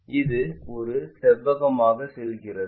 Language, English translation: Tamil, This one goes to a rectangle